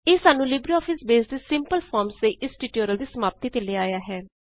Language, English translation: Punjabi, This brings us to the end of this tutorial on Simple Forms in LibreOffice Base